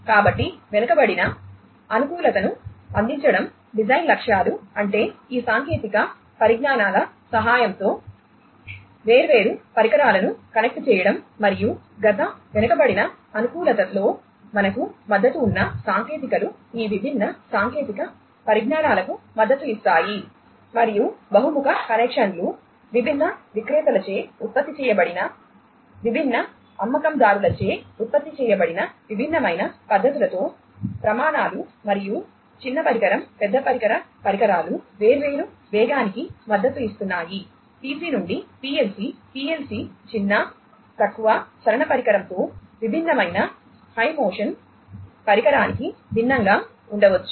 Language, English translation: Telugu, So, the design objectives are to offer you know backward compatibility; that means, you know, connecting different devices which you know with the help of these technologies plus the technologies that we are supported in the past backward compatibility will be supported by these different technologies and also enabling versatile connections, connections across different heterogeneous devices, produced by different vendors, supporting different standards, and small device large device devices, has supporting different speed may be PC to PLC, PLC to, you know, PLC to something, something different a high motion device with a small, you know, low motion device, and so on